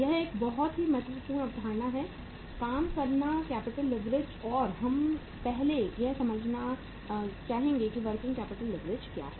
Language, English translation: Hindi, This is a very important concept, working capital leverage and we would first like to understand what is the working capital leverage